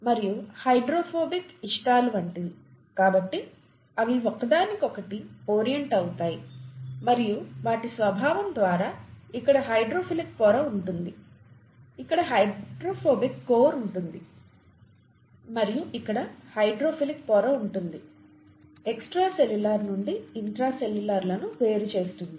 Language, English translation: Telugu, And hydrophobic, like likes like, therefore they orient towards each other and by their very nature there is a hydrophilic layer here, there is a hydrophobic core here, and a hydrophilic layer here, separating the intracellular from the extracellular parts